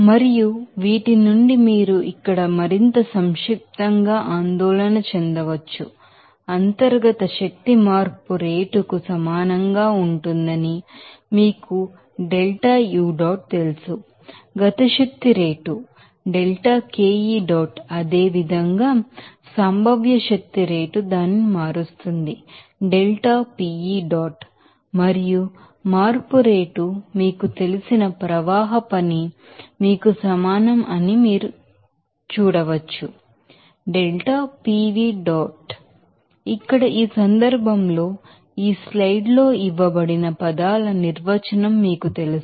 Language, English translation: Telugu, And from these, you can worried this here more concisely like that you know that rate of internal energy change it will be equal to , rate of kinetic energy we will , similarly, potential energy rate change it to be and a flow work you know change rate will be equal to you know that , here in this case, this is given is term what do you know the definition of that is terms here given in this slides